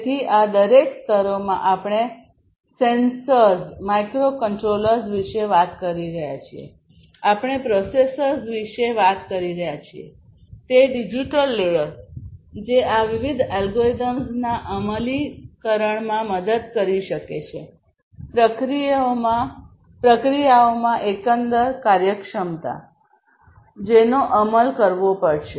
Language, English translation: Gujarati, So, in each of these layers; so physical layer we are talking about sensors, microcontrollers; digital layer we are talking about processors, which can help in execution of these different algorithms the in the processes overall the functionalities, that will have to be implemented